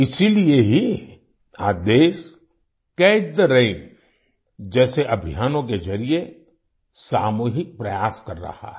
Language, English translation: Hindi, That is why today the country is making collective efforts through campaigns like 'Catch the Rain'